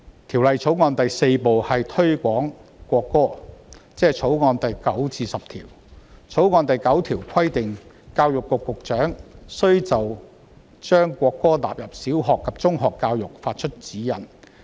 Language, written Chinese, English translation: Cantonese, 《條例草案》第4部推廣國歌，即《條例草案》第9至10條。《條例草案》第9條規定，教育局局長須就將國歌納入小學及中學教育發出指示。, On Part 4 of the Bill―Promotion of National Anthem clause 9 of the Bill requires the Secretary for Education to give directions for the inclusion of the national anthem in primary education and secondary education